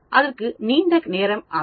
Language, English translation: Tamil, That may take a long time